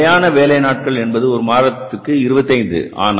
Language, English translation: Tamil, Our standard working days per month were 25